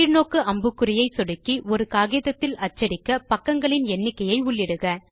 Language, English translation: Tamil, Click on the drop down arrow and choose the number of pages that you want to print per page